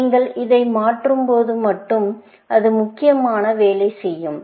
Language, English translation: Tamil, Only, when you change this, it is going to work, essentially